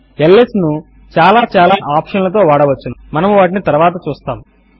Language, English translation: Telugu, ls can be used with many options which we will see later